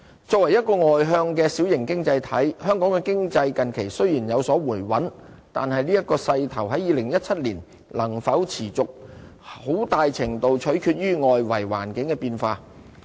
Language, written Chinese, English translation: Cantonese, 作為一個外向的小型經濟體，香港經濟近期雖然有所回穩，但這勢頭在2017年能否持續，很大程度取決於外圍環境的變化。, Hong Kong is an open and small economy and despite regaining stability recently whether it can maintain this momentum in 2017 very much depends on changes in the external environment